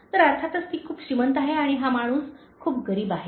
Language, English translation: Marathi, So, obviously she is very rich, and this guy is very poor